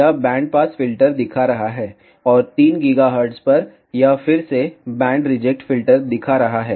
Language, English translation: Hindi, It is showing band pass filter, and at 3 gigahertz, it is showing again band reject filter